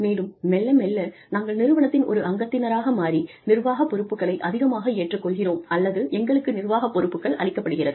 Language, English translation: Tamil, And, slowly, as we become part of the organization, we either take on more administrative responsibilities, or, we are given administrative responsibilities